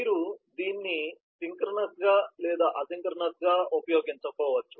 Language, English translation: Telugu, as to you want to deal it synchronised or need it asynchronous